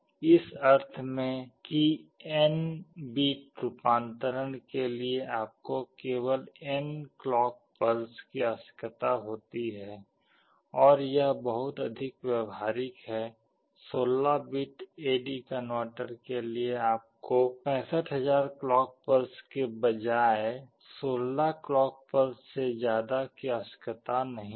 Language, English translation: Hindi, In the sense that for n bit conversion you require only n number of clock pulses and which is very much practical; for a 16 bit AD converter you need no more than 16 clock pulses rather than 65000 clock pulses